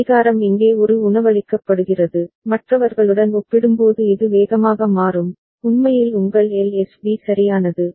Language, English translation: Tamil, The clock is fed here the one, it will change faster as compared to the others actually is your LSB right